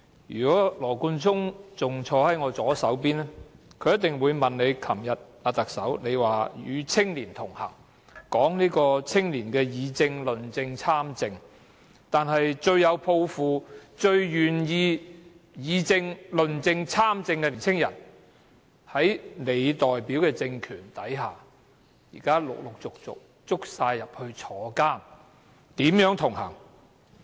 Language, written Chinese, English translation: Cantonese, 如果羅冠聰仍然坐在我左邊，他一定會問特首，她昨天說與青年同行，說青年議政、論政和參政，但是，最有抱負，最願意議政、論政和參政的年輕人在她代表的政權下，現時陸陸續續被捕入牢，如何同行？, If Nathan LAW still sat on my left he would definitely ask the Chief Executive one question . Yesterday she talked about connecting with young people and encouraging their participation in politics as well as public policy discussion and debate . But under the political regime she stands for the most idealistic of our young people those who are keenest to participate in politics as well as public policy discussion and debate are arrested and jailed one by one